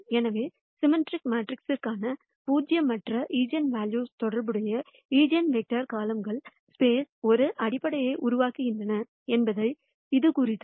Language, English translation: Tamil, So, this implies that the eigenvectors corresponding to the non zero eigenvalues for a symmetric matrix form a basis for the column space